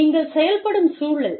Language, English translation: Tamil, Environment, that you function in